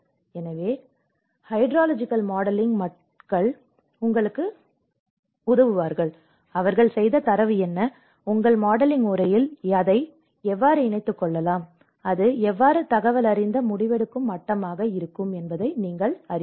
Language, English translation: Tamil, So, then the hydrological modeling people will tell you, you know what is the data they have done and how you can incorporate that in your modeling and how that can be informative decision making level